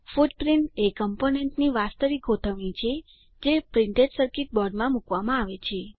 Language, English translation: Gujarati, Footprint is the actual layout of the component which is placed in the Printed Circuit Board